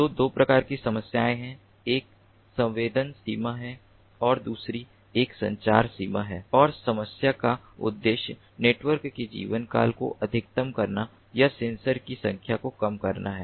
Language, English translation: Hindi, one is the sensing range and the other one is the communication range and the objective of the problem is to maximize the network lifetime or minimize the number of sensors